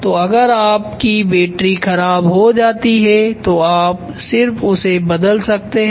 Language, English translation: Hindi, So, if the battery cons of you can replace only the battery